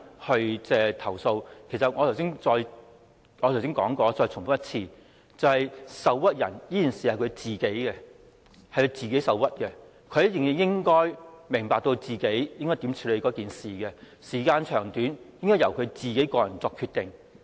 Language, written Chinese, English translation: Cantonese, 我剛才已說過，我再重申一次，受屈是當事人自己的事情，她自己應該明白該如何處理此事，時間長短應該由她個人作出決定。, As I already said just now let me reiterate that it is the complainants who are aggrieved . They should know how to handle the matter themselves . How much time they need should be their personal decision